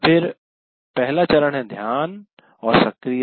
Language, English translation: Hindi, Then the first stage is attention and activation